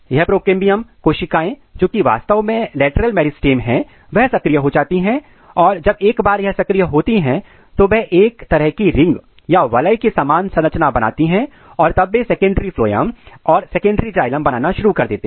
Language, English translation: Hindi, This procambium cells these are actually lateral meristem they get activated and once they activated they start making a kind of ring like this and then they produce they started producing secondary phloem secondary xylems